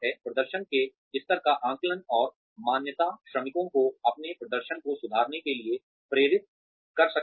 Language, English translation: Hindi, Assessment and recognition of performance levels can motivate workers to improve their performance